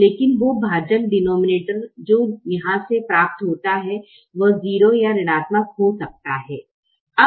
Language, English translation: Hindi, you also have to make sure that when you do this division the denominator is not zero or negative